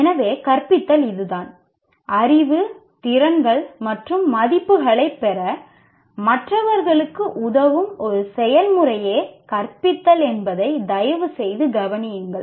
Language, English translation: Tamil, Kindly note that teaching is a process of helping others to acquire knowledge, skills, and values